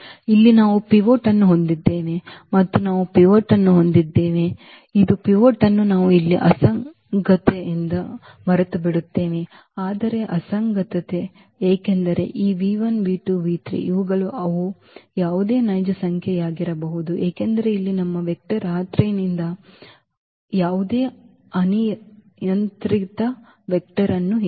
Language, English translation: Kannada, That here we have pivot here also we have a pivot and this forget about the pivot we have the inconsistency here, while inconsistency because this v 1 v 2 v 3 they these are they can be any real number because our vector here is from R 3 and say any arbitrary vector from R 3